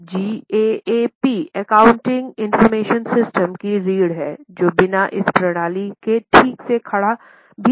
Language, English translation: Hindi, Now gap is a backbone of accounting information system without which system cannot even stand correctly